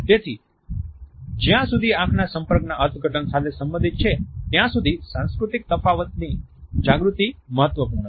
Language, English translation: Gujarati, So, awareness of cultural differences, as far as the interpretation of eye contact is concerned, is important